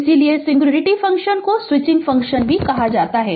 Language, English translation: Hindi, So, singularity function are also called the switching function right